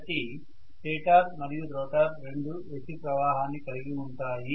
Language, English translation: Telugu, So it is going to be carrying both stator and rotor carry AC